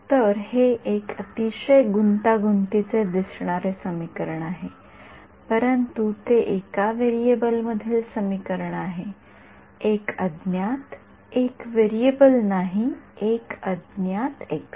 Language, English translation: Marathi, So, this is a very complicated looking equation, but it is an equation in one variable; one unknown not one variable one unknown x